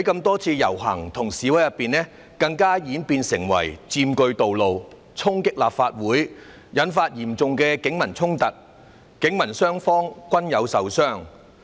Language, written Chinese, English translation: Cantonese, 多次的遊行示威更演變為佔據道路、衝擊立法會，引發嚴重警民衝突，警民雙方均有人受傷。, A number of rallies and demonstrations have even evolved into the occupation of roads and storming of the Legislative Council and triggered serious clashes between the Police and members of the public resulting in injuries on both sides